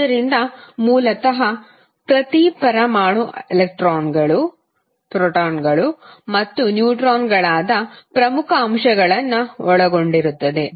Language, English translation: Kannada, So, basically the the each atom will consist of 3 major elements that are electron, proton, and neutrons